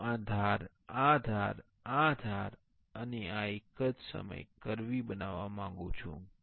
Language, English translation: Gujarati, I want to make this edge, this edge, this edge and this one to be curvy at the same time